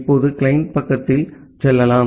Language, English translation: Tamil, Now, let us move at the client side